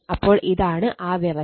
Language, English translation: Malayalam, So, this is the condition right